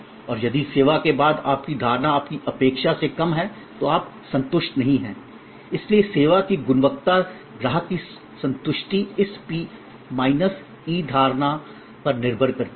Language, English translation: Hindi, And if your perception after the service is lower than your expectation, then you are not satisfied, so the service quality customer satisfaction depend on this P minus E perception